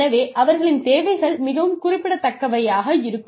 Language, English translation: Tamil, So, their needs are very specific